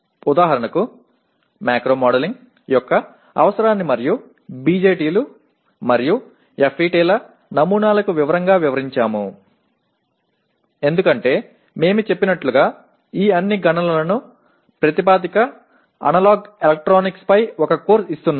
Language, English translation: Telugu, For example we said explain in detail the need for macro modeling and the models of BJTs and FETs because as we said we are giving a course on analog electronics as the basis for all these computations